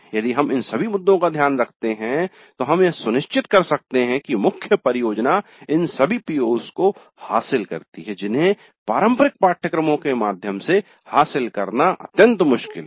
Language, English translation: Hindi, If we take care of all these issues then we can ensure that the main project addresses all these POs which are very difficult to address through conventional courses